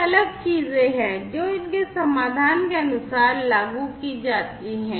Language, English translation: Hindi, So, these are the different things, that are implemented as per their solution